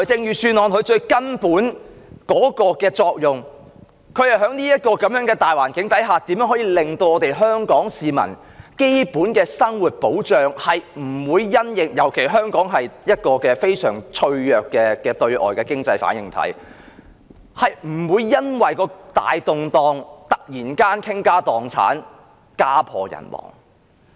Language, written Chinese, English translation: Cantonese, 預算案最根本的作用，便是在這個大環境下，如何令香港市民的基本生活得到保障——尤其香港是一個非常脆弱的對外經濟反應體——不會因為大動盪而突然間傾家蕩產、家破人亡。, The most fundamental function of the Budget is to provide protection under this general environment to the basic living of Hong Kong citizens—especially when Hong Kong is a very fragile external - oriented economic reactor—so that they will not lose all their own fortune become destitute and homeless due to major upheavals